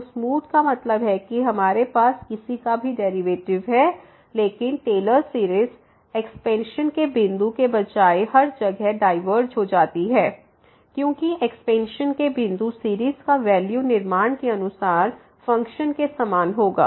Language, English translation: Hindi, So, smooth means we have the derivatives of whatever or we lie, but the Taylor series diverges everywhere rather than the point of expansion, because a point of a expansion the series will have the value same as the function as per the construction so